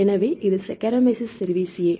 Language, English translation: Tamil, So, this is Saccharomyces cerevisiae right